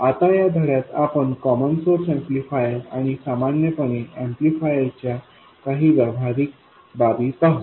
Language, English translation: Marathi, Now in this lesson we will look at some practical aspects of a common source amplifier and in general any amplifier